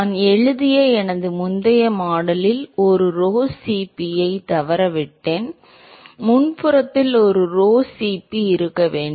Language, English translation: Tamil, I missed out a rho Cp in my earlier model that I wrote, there should be a rho Cp in the front